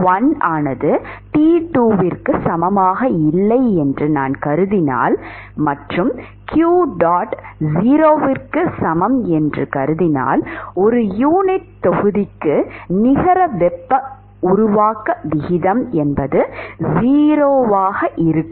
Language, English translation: Tamil, If I assume that T1 is not equal to T2 and if I assume that qdot equal to 0, that is, the net rate of heat generation per unit volume is 0